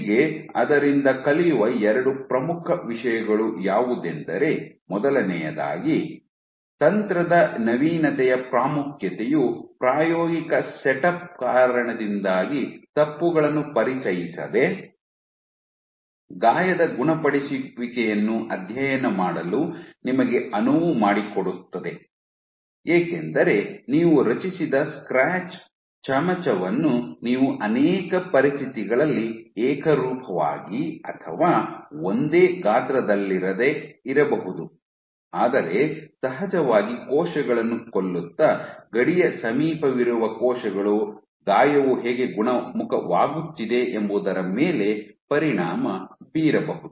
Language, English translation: Kannada, So, first of all the importance the novelty of the technique where it allows you to study wound healing without introducing artifacts because of the experimental setup because you have scratch spoon as say the scratch that you create may not be uniform same size across multiple conditions you of course, kill many cells near the border that may have an effect in how the wound is getting healed